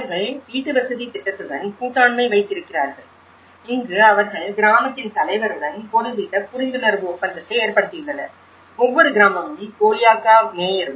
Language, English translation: Tamil, And they have partnership with the housing scheme and here, that they have established certain kind of memorandum of understanding with the head of the village; each village and also by the mayor of Golyaka